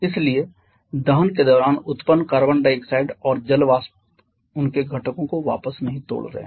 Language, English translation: Hindi, So, the carbon dioxide and water vapour flows produced during the combustion reactions they are not breaking back to their constituents